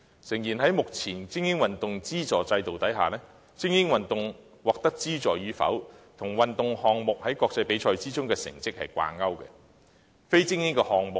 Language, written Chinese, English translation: Cantonese, 誠然，在目前精英運動資助制度下，精英運動獲得資助與否，與相關運動項目在國際比賽中的成績掛鈎。, It is true that under the present elite sports funding system whether elite sports are granted subsidies is linked to the performance of Hong Kong team in related games in international sporting events